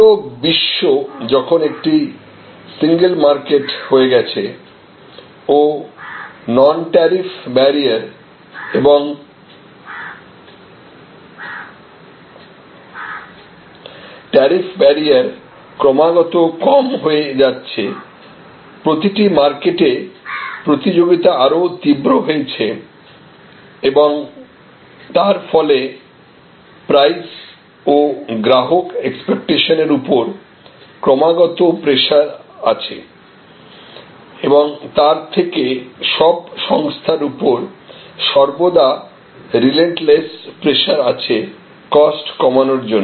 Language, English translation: Bengali, As the world has become one market and the non tariff barriers or even tariff barriers have continuously come down, competition in every market place has intensified and as a result there is a continuous pressure on prices, continuous pressure on customers expectation and as a result the organizations are under relentless pressure to reduce their costs